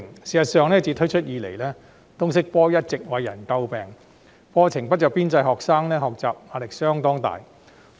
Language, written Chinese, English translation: Cantonese, 事實上，通識科自推出後一直為人詬病，原因是課程不着邊際，學生的學習壓力相當大。, In fact the LS subject has been subject to criticisms since its introduction . The curriculum is vague and students are under great pressure to learn